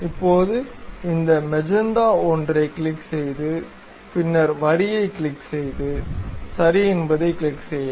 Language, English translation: Tamil, Now, click this magenta one and then click the line and then click ok